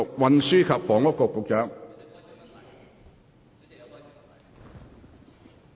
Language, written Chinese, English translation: Cantonese, 運輸及房屋局局長。, Secretary for Transport and Housing